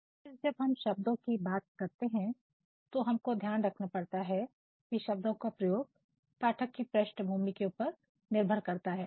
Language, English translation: Hindi, And then words, when we are talking about words we have to see that words have to be used depending upon the background of our audience members